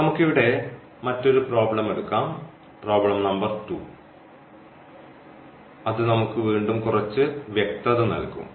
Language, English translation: Malayalam, So, let us take another problem here, problem number 2 which will give us now again little more inside